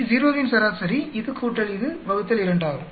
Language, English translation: Tamil, This plus this, add up, divide it by 2